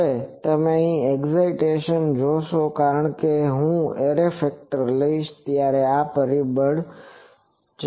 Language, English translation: Gujarati, Now this you see the excitations here because when I will take the array factor this factor will go